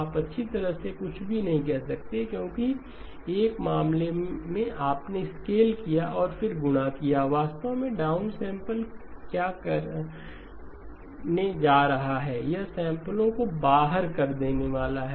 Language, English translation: Hindi, You may say well nothing because in one case you scaled and then multiply, actually what does the down sampler going to do, it is going to throw away samples